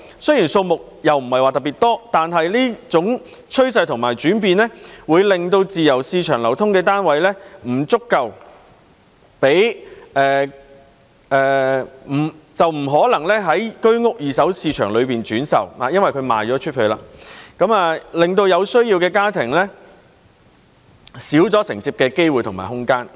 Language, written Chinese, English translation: Cantonese, 雖然數目不是特別多，但這種趨勢和轉變會令在自由市場流通的單位不可能在居屋二手市場中轉售，因為已經售出，因而減少了有需要的家庭承接的機會和空間。, Although the number is not particularly high such a trend and change will make it impossible for flats in the free market to be resold in the Home Ownership Scheme HOS secondary market because they have already been sold thus reducing the opportunity and space for families in need to buy these flats